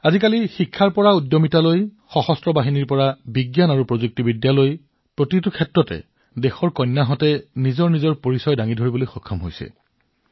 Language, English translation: Assamese, Today, from education to entrepreneurship, armed forces to science and technology, the country's daughters are making a distinct mark everywhere